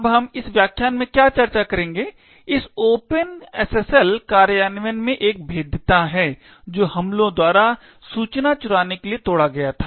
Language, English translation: Hindi, Now, what we will discuss in this particular lecture is one particular vulnerability in this open SSL implementation which had got exploited by attackers to steal informations